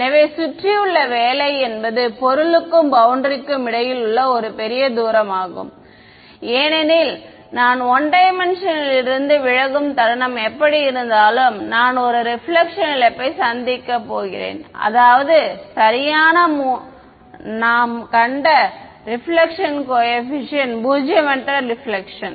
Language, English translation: Tamil, So, the work around is larger distance between the object and boundary right as it is if I the moment I deviate from 1D anyway I am going to have a reflect loss I mean the reflection coefficient non zero reflection that we have seen before right